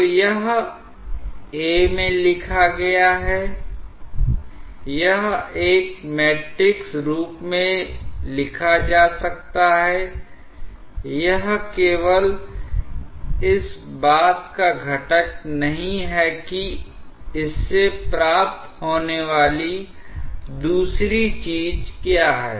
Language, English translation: Hindi, So, this is written in a, this may be written in a matrix form, that is the components of this not only that what is the other thing that you get from this